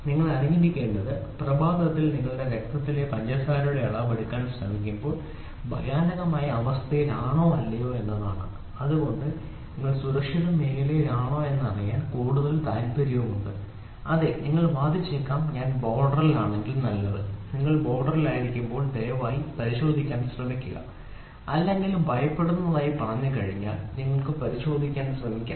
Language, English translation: Malayalam, So, all you have to know is whether that morning when you try to take blood sugar level whether you are in an alarming situation or not, why at all you have more interested to know if you are in the safe zone, yes you might argue if I am in the border fine, when you are in the border please try to check or I would put this way you try to check once it says alarming then look for the magnitude value otherwise just forget it, ok